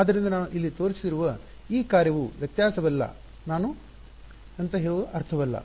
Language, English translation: Kannada, So, this function that I have shown here is not difference is not I mean it is